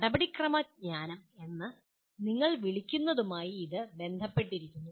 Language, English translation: Malayalam, And it is also closely linked with what we call subsequently as procedural knowledge